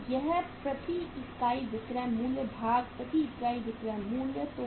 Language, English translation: Hindi, So it is the selling price per unit divided by the selling price per unit